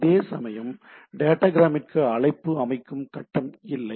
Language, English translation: Tamil, Whereas datagram one has these has no call setup